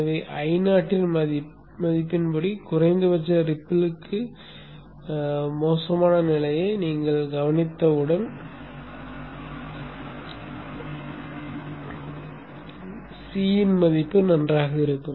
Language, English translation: Tamil, So once you have taken care of the worst case condition for minimum ripple, maximum value of I not, the value of C will hold good